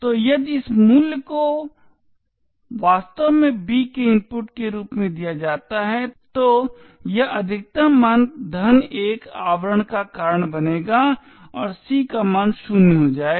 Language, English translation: Hindi, So if this value is actually given as input to b then this maximum value plus 1 will cause a wrapping to occur and the value of c would become 0